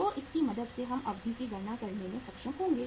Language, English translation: Hindi, So with the help of this we will be able to calculate the duration